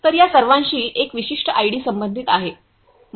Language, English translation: Marathi, So, these all have a unique ID associated with them